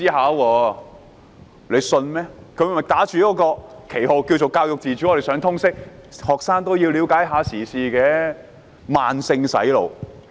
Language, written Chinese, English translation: Cantonese, 他們打着教育自主的旗號，在學校推行通識科，讓學生了解時事，這是慢性"洗腦"。, Under the banner of school autonomy they implement the subject of Liberal Studies and allow students to learn about current affairs . This is brainwashing in a gradual manner